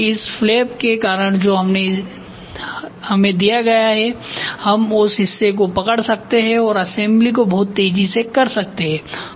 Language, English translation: Hindi, And now because of this flap which is given we can hold the part and do the assembly very fast ok